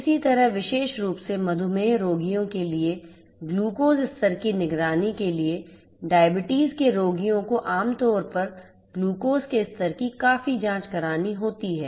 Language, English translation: Hindi, Similarly, for glucose level monitoring particularly for diabetes, diabetes patients; diabetes patients typically need to check the glucose level quite often